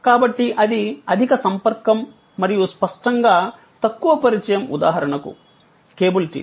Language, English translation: Telugu, So, that is high contact and; obviously, therefore, the low contact is for example, cable TV